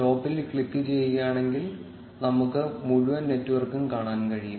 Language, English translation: Malayalam, If you click on stop, you will be able to see the entire network